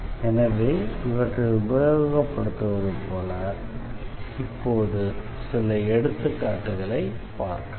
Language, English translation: Tamil, So, with this we will now go through some of the examples